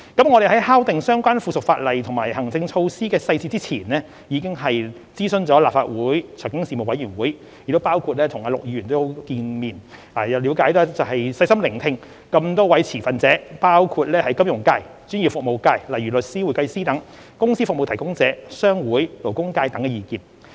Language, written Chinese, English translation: Cantonese, 我們在敲定相關附屬法例及行政措施的細節前，已諮詢了立法會財經事務委員會，亦包括與陸頌雄議員見面，了解及細心聆聽各持份者包括金融界、專業服務界、公司服務提供者、商會、勞工界等的意見。, Before finalizing the details of the relevant subsidiary legislation and administrative measures we had consulted the Panel on Financial Affairs of the Legislative Council met with Mr LUK Chung - hung and listened carefully to the views of stakeholders ranging from the financial sector the professional services sectors company service providers trade associations to the labour sector